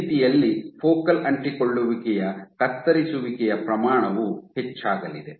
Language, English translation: Kannada, In that ways the chopping rate of focal adhesion is going to be higher